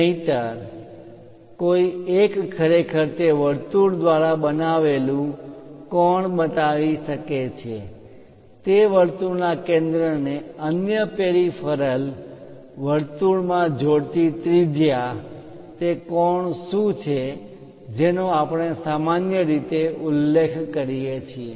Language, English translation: Gujarati, Otherwise, one can really show angle made by that circle, the radius connecting center of that circle to other peripheral circle, what is that angle also we usually mention